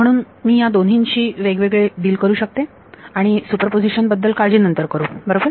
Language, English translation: Marathi, So, I can deal with each of these two separately and then worry about superposition later right